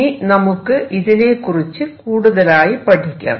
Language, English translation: Malayalam, Let us now explore this a little further